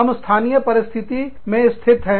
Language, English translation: Hindi, We are situated, in a local context